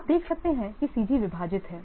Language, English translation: Hindi, You can see that C is splited